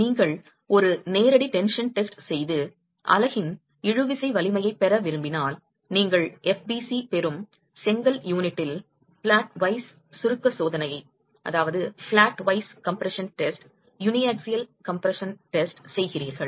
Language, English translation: Tamil, If you were to do a direct tension test and get the tensile strength of the unit, you do a uniaxial compression test, flatwise compression test on the brick unit, you get FBC